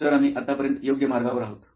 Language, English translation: Marathi, Sir are we on the right track till now